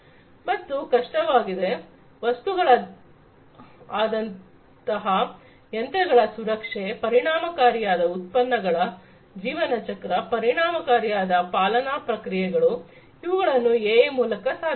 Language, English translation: Kannada, So; obviously, things like machine learning sorry machine safety, efficient products lifecycle, efficient manufacturing processes, these could be achieved with the help of AI